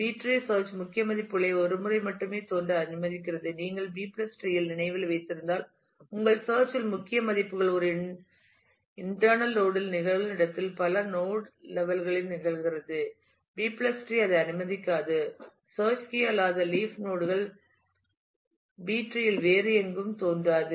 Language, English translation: Tamil, And B tree allows search key values to appear only once, if you if you remember in the B + tree your search key values where which occurs in an internal load keeps on occurring at multiple node levels also B + B tree does not allow that the search key non leaf nodes appear nowhere else in the B tree